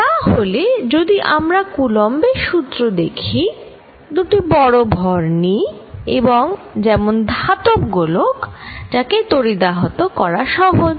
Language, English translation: Bengali, So, if I want to look at Coulomb's law I take too large masses and the easiest to charge are metallic spheres and put charge